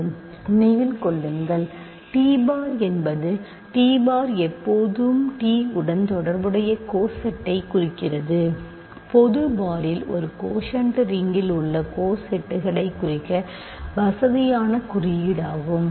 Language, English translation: Tamil, Remember t bar is the t bar always represents the coset corresponding to t, in general bar is a convenient notation to denote cosets in a quotient ring